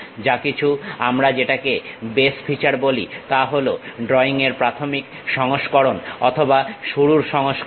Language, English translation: Bengali, Anything what we call base feature is the preliminary version or the starting version of the drawing